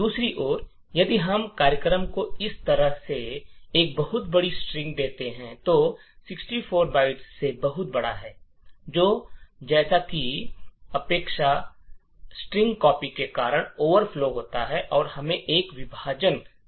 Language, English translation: Hindi, On the other hand if we give the program a very large string like this, which is much larger than 64 bytes, then as expected buffer will overflow due to the long string copy which is done and we would get a segmentation fault